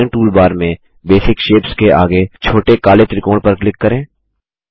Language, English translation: Hindi, On the drawing toolbar, click on the small black triangle next to Basic Shapes